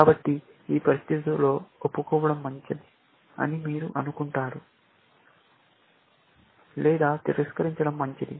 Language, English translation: Telugu, So, in this situation, you think it is good to confess, or is it good to deny